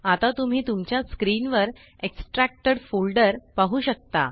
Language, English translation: Marathi, Now you can see the extracted folder on your screen